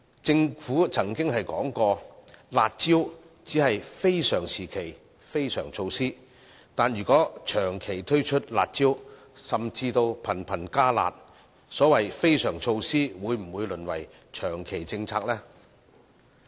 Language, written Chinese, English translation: Cantonese, 政府曾經表示，"辣招"只是非常時期的非常措施，但如果長期推出"辣招"，甚至頻頻"加辣"，所謂的非常措施會否淪為長期政策呢？, The Government once indicated that the curb measures are only extraordinary measures for extraordinary periods . However if the curb measures are implemented for an extended period and become harsher at frequent intervals will the so - called extraordinary measures turn into permanent policy initiatives?